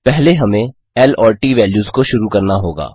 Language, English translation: Hindi, First we will have to initiate L and T values